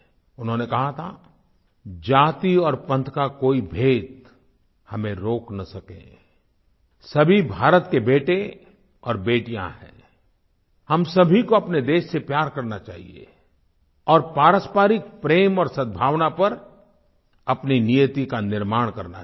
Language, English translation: Hindi, He had said "No division of caste or creed should be able to stop us, all are the sons & daughters of India, all of us should love our country and we should carve out our destiny on the foundation of mutual love & harmony